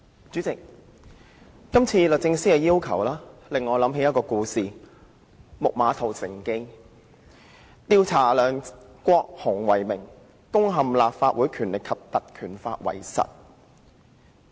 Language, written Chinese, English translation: Cantonese, 主席，今次律政司的要求令我想起"木馬屠城記"這故事；律政司以調查梁國雄議員為名，實際上是要攻陷《立法會條例》。, President the present request of the Department of Justice DoJ reminds me of the story of the Trojan Horse . In the name of investigating Mr LEUNG Kwok - hung DoJ actually intends to defeat the Legislative Council Ordinance